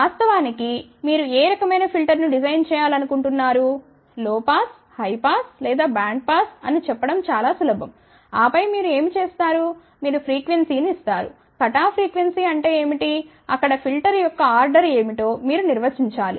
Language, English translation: Telugu, In fact, it would be very very easy you simply have to say which type of filter you want to design, low pass, high pass or band pass and then what you do you give the frequency what is the cut off frequency of course, there you have to define what is the order of the filter